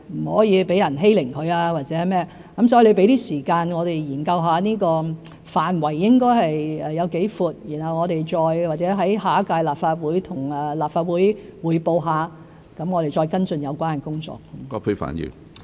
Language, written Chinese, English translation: Cantonese, 所以，請葛議員給我們一點時間研究這個範圍該涵蓋多闊，然後我們或許向下一屆立法會匯報，再跟進有關工作。, Therefore I implore Ms QUAT to give us some time to study how wide the scope should be before we report to perhaps the next - term Legislative Council and follow up the relevant work